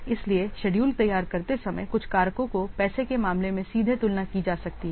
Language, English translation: Hindi, So, some factors of while preparing the schedules, some factors can be directly compared in terms of money